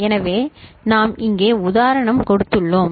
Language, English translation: Tamil, So, we have given an example here